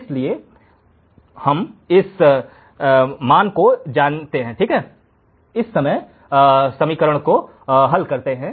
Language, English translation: Hindi, So, we know this value right, we know this equation